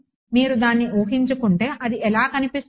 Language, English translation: Telugu, If you wanted to visualize this what does it look like